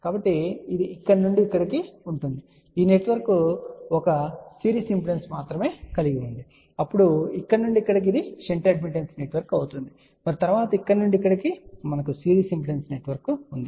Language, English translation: Telugu, So, this will be from here to here one network which consist of only series impedance, then from here to here it will be the shunt admittance network and then from here to here we will have a series impedance network